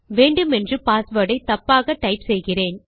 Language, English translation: Tamil, Ill type my password wrong on purpose